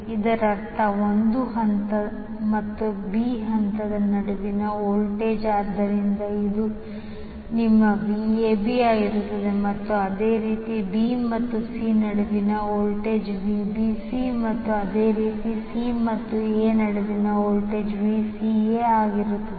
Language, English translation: Kannada, That means the voltage between A phase and B phase, so this will be your VAB then similarly the voltage between B and C is the VBC and similarly again between C and A will be VCA